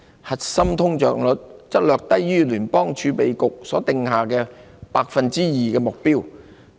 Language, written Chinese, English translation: Cantonese, 核心通脹率則略低於聯邦儲備局所訂下的 2% 目標。, Meanwhile core inflation rate stays just below the 2 % target set by the Federal Reserve